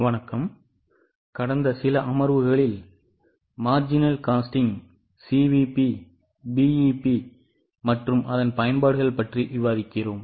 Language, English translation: Tamil, In last few sessions, in last few sessions we are discussing about marginal costing, CVP, BP analysis and its applications